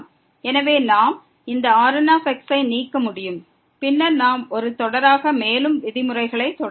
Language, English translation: Tamil, So, we can remove this and then we can continue with the further terms as a series